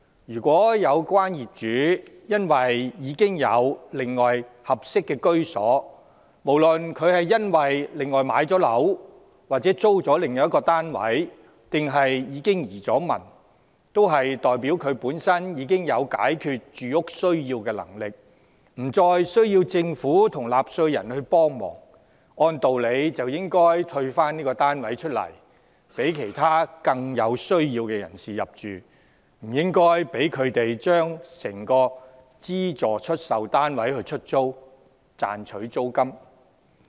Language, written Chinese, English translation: Cantonese, 如有關業主已另有合適居所，無論是購置或租住了另一單位，還是已移民，均代表他本身已有能力滿足住屋需要，不再需要政府及納稅人協助，按道理便應退出該單位，讓其他更有需要的人士入住，不應讓他把整個資助出售單位出租，賺取租金。, If the owners concerned have already secured proper accommodation―be it acquired or rented―elsewhere or emigrated they are presumably capable of meeting their housing needs on their own without asking the Government and taxpayers for help . It stands to reason that instead of being allowed to rent out entire subsidized sale flats and pocket the rentals they should relinquish their flats so that those who are more in need can move in